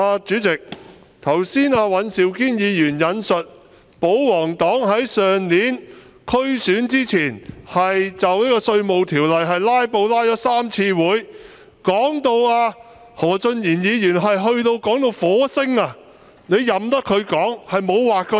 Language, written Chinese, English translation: Cantonese, 主席，尹兆堅議員剛才說保皇黨在去年區選前，就《2019年稅務條例草案》"拉布"拉了3次會議，何俊賢議員更說到火星，你卻任由他說，沒有劃線。, President Mr Andrew WAN said just now that before the District Council Election last year the royalists filibustered on the Inland Revenue Amendment Bill 2019 at three Council meetings; and when Mr Steven HO even talked about the Mars you still allowed him to speak without drawing a line